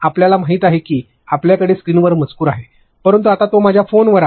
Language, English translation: Marathi, You know you have text on screen, but now am I having it on my phone